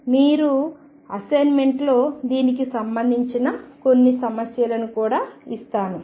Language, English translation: Telugu, I will also give you some problems related to this in your assignment